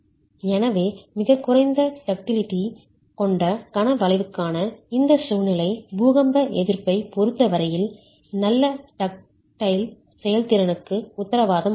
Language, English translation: Tamil, So, this situation for moment curvature with very low ductility does not guarantee good ductile performance as far as earthquake resistance is concerned